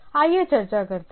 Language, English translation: Hindi, Let us discuss